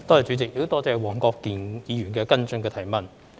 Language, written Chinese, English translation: Cantonese, 主席，多謝黃國健議員的補充質詢。, President I thank Mr WONG Kwok - kin for his supplementary question